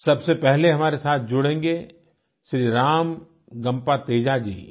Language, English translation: Hindi, to join us is Shri RamagampaTeja Ji